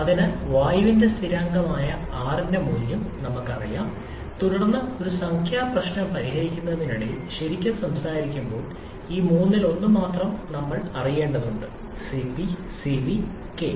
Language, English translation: Malayalam, So, as we already know the value of R which is a constant for air, then truly speaking while solving a numerical problem, we need to know just one among these 3; Cp, Cv and K